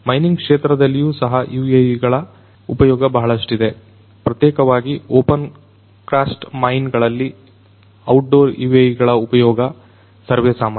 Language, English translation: Kannada, In the mining sector as well there are lots of use of UAVs particularly in opencast mines use of outdoor UAVs is very common